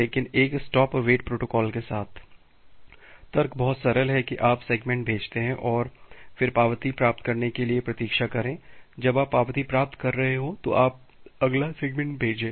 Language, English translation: Hindi, But with a stop and wait protocol, the logic is pretty simple that you send segment and then wait for acknowledgement once you are getting acknowledgement, you send the next segment